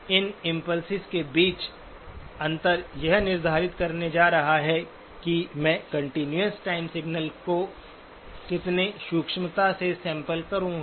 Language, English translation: Hindi, The spacing between these impulse is going to determine how finely I will sample the continuous time signal